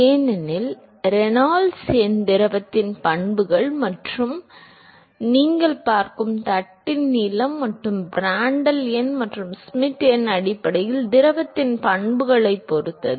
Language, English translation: Tamil, Because Reynolds number depends upon the properties of the fluid and the properties or the length of the plate that you looking at and Prandtl number and Schmidt number essentially properties of the fluid